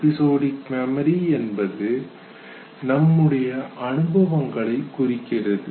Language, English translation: Tamil, Now episodic memory represents experiences and it is basically a memory of events